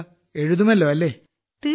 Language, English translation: Malayalam, so will you write